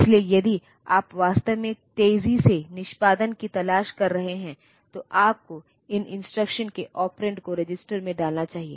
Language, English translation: Hindi, So, if you are really looking for faster execution, then you should put the operands of these instructions into the resistor